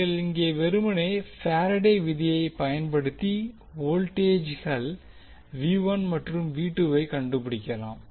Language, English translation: Tamil, So you can simply apply the Faradays law to find out the voltages V 1 and V 2